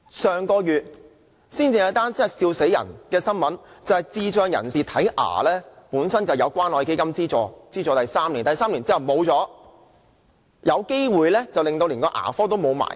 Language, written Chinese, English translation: Cantonese, 上個月有一宗笑壞人的新聞，便是智障人士本來有關愛基金資助3年接受牙科服務，但第三年過後便沒有，更有可能連那牙科診所也要關閉。, I notice a piece of ridiculous news last month . People with intellectual disabilities used to enjoy three years of dental care service subsidized by CCF . After the three years however the service was stopped and the dental clinic may even close down